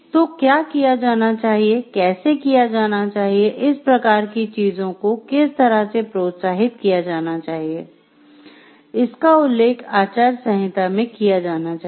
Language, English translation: Hindi, So, what should be done, how it should be done, what should be avoided what should be encouraged these type of things, are mentioned in the course of ethics